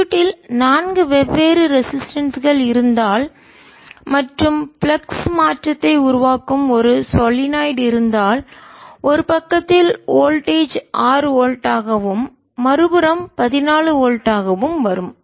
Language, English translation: Tamil, and that is precisely what this problem shows you: that if in the circuit where there are four different resistances and a solenoid that is creating the flux change, then voltage on one side comes out to be six force and on the other side comes out to be fourteen volt, it solve with you using twenty minus forty